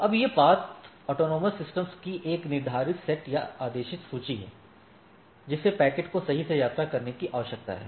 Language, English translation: Hindi, Now, this path is a ordered set or ordered list of autonomous systems that the packet need to travel through, right